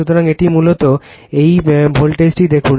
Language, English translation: Bengali, So, it , basically, it is sees the voltage